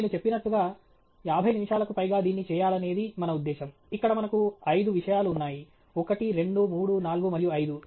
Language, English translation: Telugu, As I mentioned, our intention is to do this over fifty minutes, we have five topics here: one, two, three, four and five